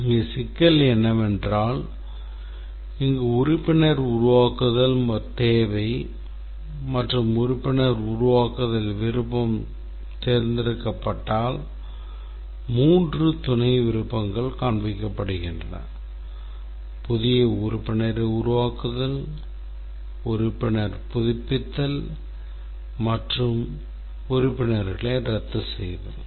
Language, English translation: Tamil, So, the problem is that this is a requirement in create member and as the create member option is chosen, there are three sub options which are displayed, create new member, membership renewal and canceled membership